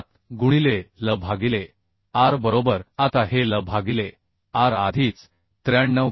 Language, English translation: Marathi, 7 into L by r right Now this L by r already has been calculated as 93